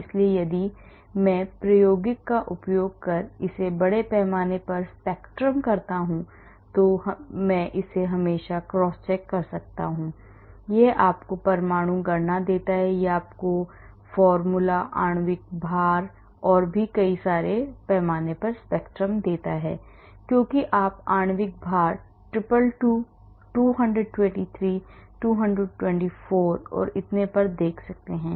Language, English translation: Hindi, So, if I do a mass spectrum using experimental I can always crosscheck it gives you atom count it gives you formula, molecular weight and also the mass spectrum as you can see molecular weight 222, 223, 224 and so on